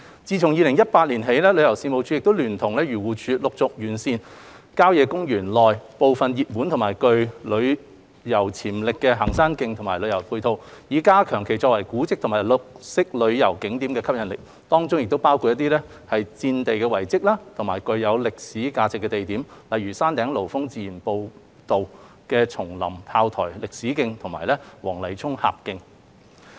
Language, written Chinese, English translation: Cantonese, 自2018年起，旅遊事務署亦聯同漁農自然護理署陸續完善郊野公園內部分熱門及具旅遊潛力的行山徑和旅遊配套，以加強其作為古蹟及綠色旅遊景點的吸引力，當中亦包括一些戰地遺蹟及具歷史價值的地點，例如山頂爐峰自然步道的松林砲台歷史徑和黃泥涌峽徑。, Since 2018 TC in collaboration with the Agriculture Fisheries and Conservation Department has also been enhancing the tourism supporting facilities of some hiking trails within country parks by phases which are popular and with tourism potential with a view to enhancing their appeal as heritage and green tourism attractions including some military relics and spots of historic value such as the Pinewood Battery Heritage Trail along Peak Trail and the Wong Nai Chung Gap Trail